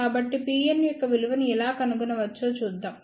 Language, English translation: Telugu, So, let us see how we can find out the value of P n out